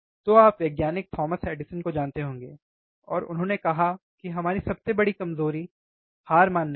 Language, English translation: Hindi, So, you may be knowing the scientist Thomas Edison, and he said that our greatest weakness lies in giving up